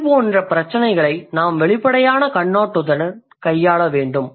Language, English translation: Tamil, We need to be more we we have to deal with such issues with an open approach like with an open outlook